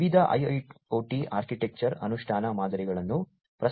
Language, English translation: Kannada, Different IIoT architecture implementation patterns are have been proposed